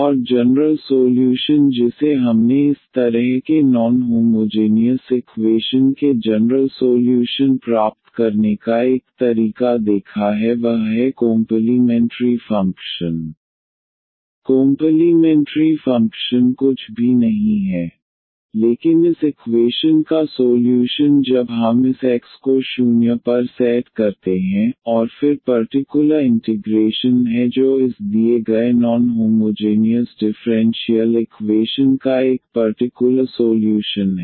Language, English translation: Hindi, And the general solution what we have seen the one way of getting the general solution of such a non homogeneous equation is to find the complimentary function; the complimentary function is nothing, but the solution of this equation when we set this X to 0 and then the particular integral that is one particular solution of this given non homogeneous differential equation